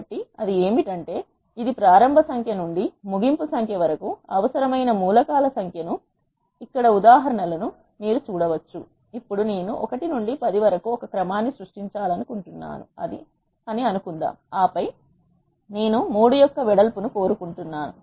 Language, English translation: Telugu, So, what it does is it will create number of elements that are required from the starting number to the ending number you can see the examples here, let us now assume that I want to create a sequence from 1 to 10 and then I want the width of 3